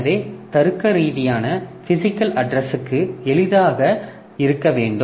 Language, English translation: Tamil, So, logical to physical address should be easy